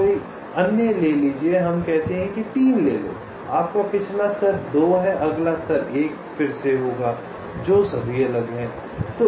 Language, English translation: Hindi, take any other, lets say take three, your previous level is two and next level will be one again, which are all distinct